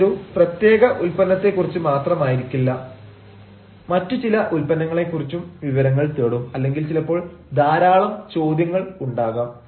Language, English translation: Malayalam, that may not be only about a particular product, but about some other products as well, or sometimes there may be a lot of questions also